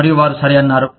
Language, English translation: Telugu, And, they said, okay